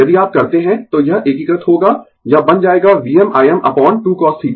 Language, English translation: Hindi, If you do, so the integrate it, it will become v m I m upon 2 cos theta